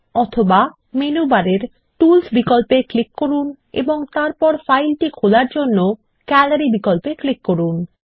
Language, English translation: Bengali, Alternately, click on Tools option in the menu bar and then click on Gallery to open it